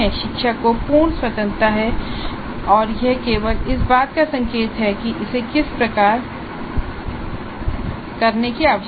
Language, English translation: Hindi, Teacher has a complete freedom and this is only an indicative of the way it needs to be done